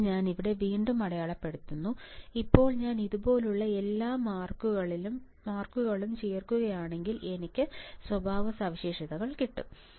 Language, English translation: Malayalam, So, I am marking again here, now if I join this all the marks if I join all the marks like this, I have my characteristics I have my transfer characteristics